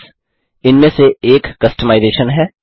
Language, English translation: Hindi, One of the customisation is Themes